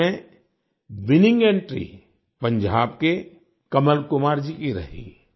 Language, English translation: Hindi, In this, the winning entry proved to be that of Kamal Kumar from Punjab